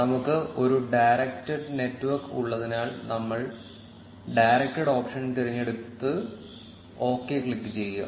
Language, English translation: Malayalam, We will select the directed option since we have a directed network, and click on OK